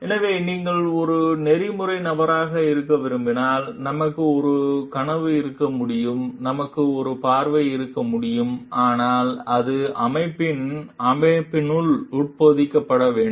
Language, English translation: Tamil, So, and for like if you want to be an ethical person, then we can have a dream, we can have a vision, but it needs to be embedded within the system of the organization